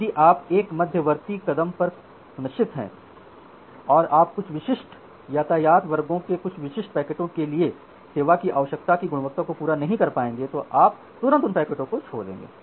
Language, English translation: Hindi, So, if you are sure at a intermediate step that you will not be able to satisfy the quality of service requirement for some specific packets of some specific traffic classes then you immediately drop those packets